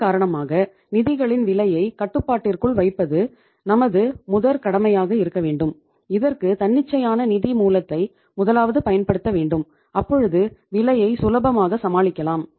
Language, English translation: Tamil, So it means to keep the cost of your funds under control your priority should be that you first use the spontaneous source of finance so that you can easily bear the cost